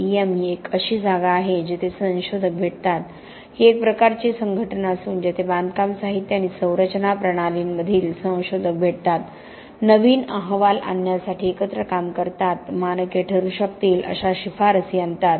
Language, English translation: Marathi, RILEM is a place where researchers meet, it is sort of an association that researchers in construction materials and structures and systems meet, work together to bring about new reports, bring about recommendations that could lead to standards